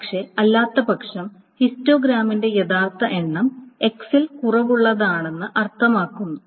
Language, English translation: Malayalam, But otherwise it gets an actual count of the histogram means that are below that are less than x